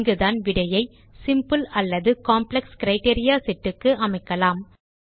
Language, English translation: Tamil, This is where we can limit the result set to a simple or complex set of criteria